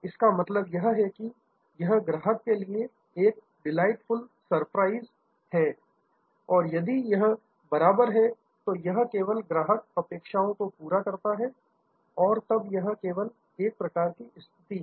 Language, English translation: Hindi, That means, customer is it is a delightful surprise for the customer, if it is equal, it just meets the expectation, then it kind of it is an even keel situation